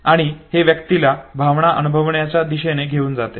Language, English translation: Marathi, And this makes the individual move towards experiencing the emotion